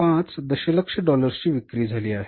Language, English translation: Marathi, 5 million of the sales we are doing